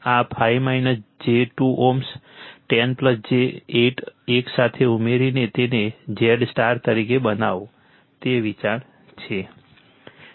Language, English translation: Gujarati, This 5 minus j 2 ohm, 10 plus j 8 you add together make it as a Z star right that is the idea